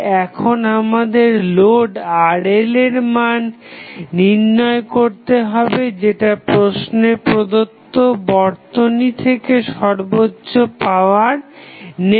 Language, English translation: Bengali, So, we have to find out the value of Rl which will draw the maximum power from rest of the circuit